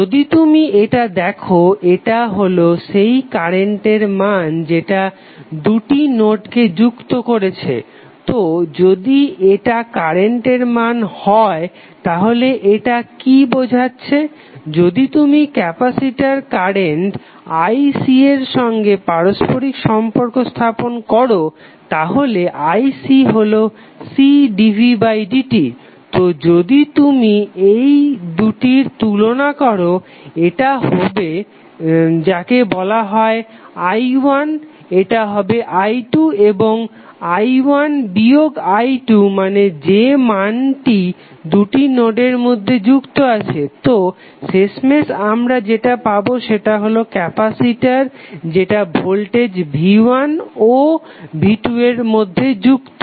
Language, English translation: Bengali, If you see this, this is nothing but the value of the current which is connecting two nodes, so if this is the value of current it signifies what, if you correlate with capacitor current ic is nothing but C dv by dt, so if you compare this two this will be something called i1 this will be i2 and i1 minus i2 means the values which are connected between two nodes, so finally what we got is the capacitor which is connected between voltage v1 and v2